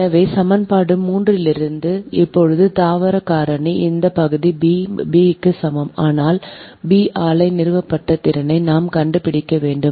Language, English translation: Tamil, so from equation three, now plant factor is equal to this part b, but b we have to find out installed capacity of plant